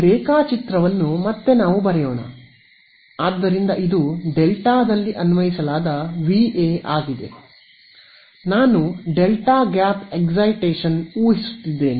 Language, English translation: Kannada, Let us draw are diagram again ok, so this is my Va applied across delta; I am assuming a delta gap excitation ok